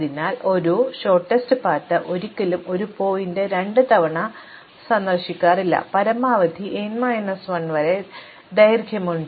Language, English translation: Malayalam, So, therefore a shortest path never visits the same vertex twice and has length at most n minus 1